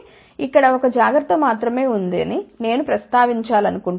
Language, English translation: Telugu, So, here there is a only 1 word of caution, which I want to mention